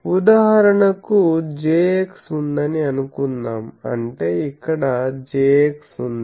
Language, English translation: Telugu, So, suppose I have a Jx; that means, and I have a Jx here